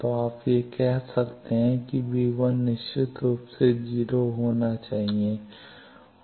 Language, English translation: Hindi, So, you can say v1 minus definitely should be 0 and